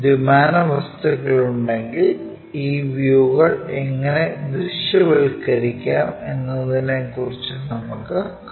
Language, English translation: Malayalam, If two dimensional objects are present how to visualize these views